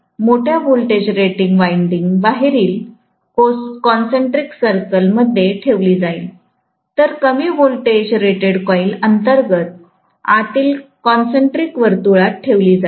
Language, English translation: Marathi, So, larger voltage rated winding will be placed in the outer concentric circle, whereas lower voltage rated coil will be placed in the inner concentric circle